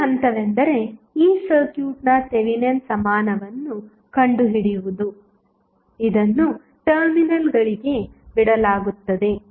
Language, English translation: Kannada, the first step would be to find the Thevenin equivalent of this circuit which is left to the terminals AB